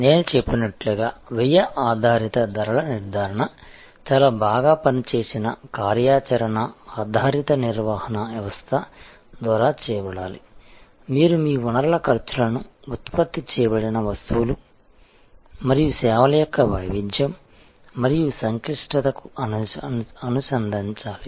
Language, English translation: Telugu, A cost based pricing as I said should be done by very well worked out activity based management system, you have to link your resource expenses to the variety and complexity of goods and services produced, services produced